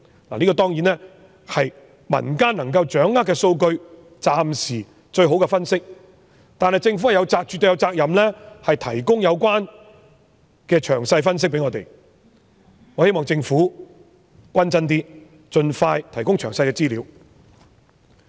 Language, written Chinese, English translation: Cantonese, 當然，這是用民間能夠掌握的數據，是暫時最好的分析，但政府絕對有責任向我們提供有關的詳細分析，我希望政府行事公正嚴謹一些，盡快提供詳細資料。, Certainly the data has been obtained from resources available in the community but it is the best analysis available so far . Nevertheless the Government surely has the responsibility to provide a detailed analysis to us . I hope that the Government will act fairly and conscientiously and provide detailed information to us as soon as possible